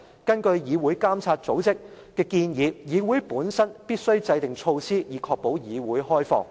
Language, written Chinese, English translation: Cantonese, 根據"議會監督組織"的建議，議會本身必須制訂措施，以確保議會開放。, According to the recommendations of parliamentary monitoring organizations a parliament must formulate measures to ensure the openness of the parliament